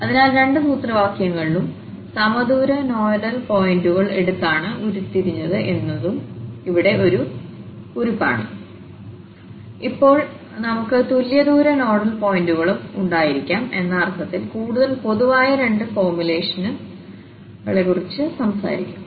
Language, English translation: Malayalam, So, this is a note here also that in both the formulas were derived taking equidistant nodal points and now, we will be talking about two more formulations which are more general in the sense that we can have non equidistant nodal points as well